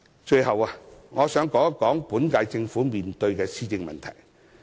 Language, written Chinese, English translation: Cantonese, 最後，我想談一談本屆政府面對的施政問題。, Last but not least I wish to talk about the administrative problems facing the current Government